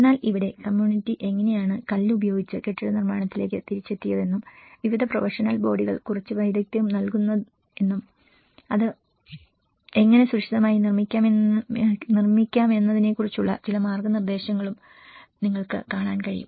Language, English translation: Malayalam, But here, you can see some notice that how the community has come back to building with the stone and the different professional bodies are giving some expertise, some guidance on how to build it safer